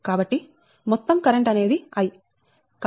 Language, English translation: Telugu, so total current is i